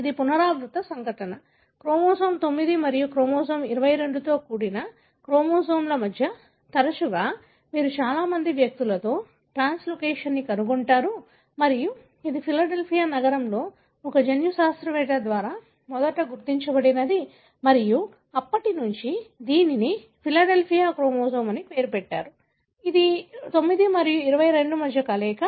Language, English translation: Telugu, That is a recurrent event; more often you will find in many individuals a translocation between chromosome, involving chromosome 9 and chromosome 22 and this was first identified in the city of Philadelphia by a geneticist and since then it has been named as Philadelphia chromosome that is fusion between 9 and 22